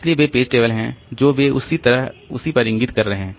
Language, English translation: Hindi, So, they are page tables they are pointing to the same on same like this